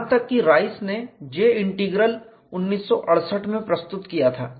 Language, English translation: Hindi, This was in the year 1968 even Rice reported J integral in 1968